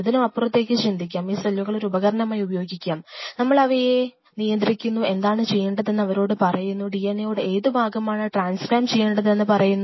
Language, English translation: Malayalam, Let us think beyond this because let us use cells as a tool, we govern them we tell them what we wanted to do, we tell them then which part of the DNA we want to put you know transcribed